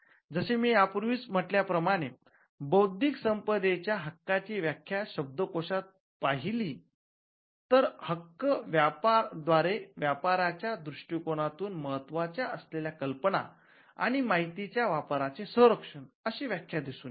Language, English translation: Marathi, In fact, as I mentioned if you look a dictionary meaning intellectual property rights can be defined as rights that protect applications of ideas and information that are of commercial value